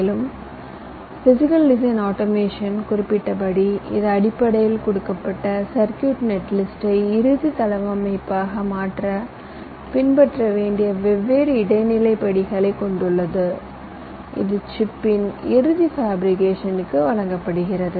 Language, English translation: Tamil, ok, and physical design automation, as i had mentioned, it basically consists of the different intermediates, steps that need to be followed to translate ah, given circuit net list, into the final layout which can be given for final fabrication of the chip